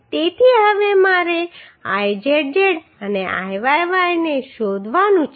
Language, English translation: Gujarati, So now I have to find out Izz and Iyy right